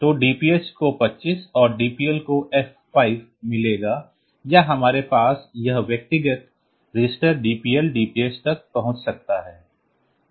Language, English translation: Hindi, So, DPH will get 2 5 and DPL will get F 5 or we can have this individual registers accessed DPL DPH